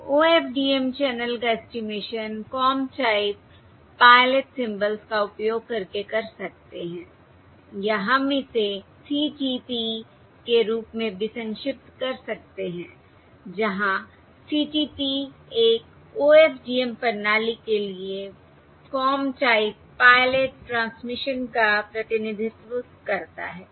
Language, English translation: Hindi, So OFDM channel estimation using Comb Type Pilot symbols, or we can also abbreviate this as CTP, where CTP represents a Comb Type Pilot transmission for an OFDM system